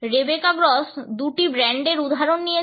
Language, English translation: Bengali, Rebecca Gross has taken examples of two brands